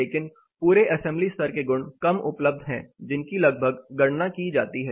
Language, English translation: Hindi, But what is less available is the whole assembly level property which is more or less computed